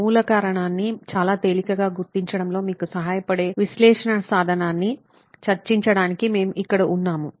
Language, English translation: Telugu, We're here to discuss an analysis tool that will help you figure out a root cause quite easily